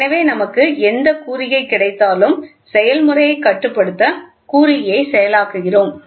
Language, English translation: Tamil, So, whatever signal we get we process the signal to control the process